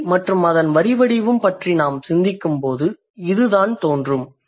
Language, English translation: Tamil, So is the case when we when we think about language and its script